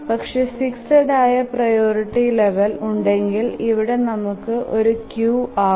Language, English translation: Malayalam, So, if we have a fixed number of priority levels, then we can have a queue here